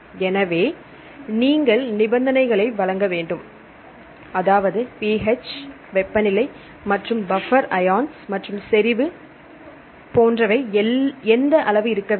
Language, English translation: Tamil, So, you have to provide the conditions, what is the temperature what is the pH and about the buffers ions and the concentration so on